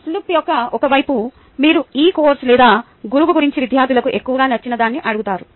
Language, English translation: Telugu, on the one side of the slip you asks the students what they liked most about this course or the teacher